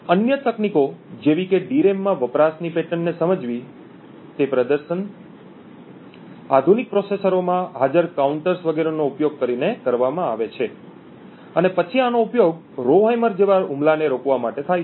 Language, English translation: Gujarati, Other techniques like identifying patterns of usage in the DRAM is done using things like performance, counters present in modern processors and this is then used to prevent any Rowhammer like attacks